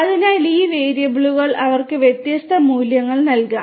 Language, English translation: Malayalam, So, these variables they could be assigned different values